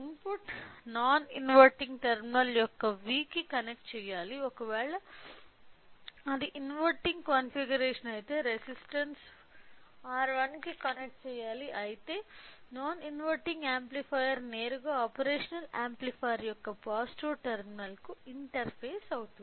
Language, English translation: Telugu, So, just remember the input should be connected to the V in you know non inverting terminal in case of inverting configuration using R 1 resistance whereas, in case of non inverting amplifier will be directly interfacing to positive terminal of operational amplifier